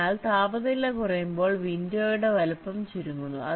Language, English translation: Malayalam, ok, so window size shrinks as the temperature decreases